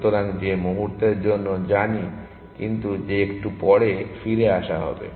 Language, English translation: Bengali, So, that is for the moment know but will come back to that little bit later